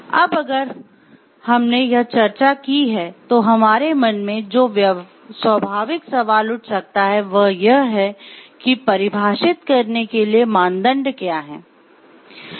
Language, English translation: Hindi, So, now if we have discussed this, the natural question which may arise in our mind is, then what are the criteria for defining